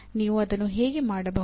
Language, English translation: Kannada, How can you do that